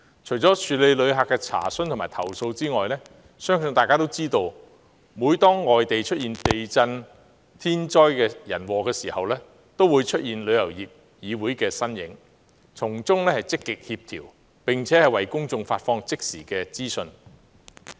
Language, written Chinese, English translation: Cantonese, 除處理旅客的查詢和投訴外，相信大家也知道，每當外地出現地震等天災人禍時，便會出現旅議會的身影，從中積極協調，並為公眾發放即時資訊。, I believe Members will be aware that besides handling enquiries and complaints of visitors TIC is also involved whenever natural disasters such as earthquakes and human errors occur overseas . TIC actively participates in coordination and releases the latest information to the public